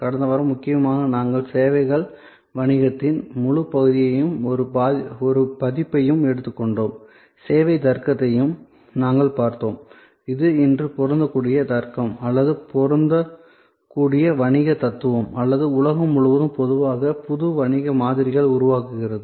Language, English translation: Tamil, Last week, mainly we took an overview of the whole domain of services business and in an edition; we also looked at the service logic, which today is an applicable logic or an applicable business philosophy or creating new business models in general across the world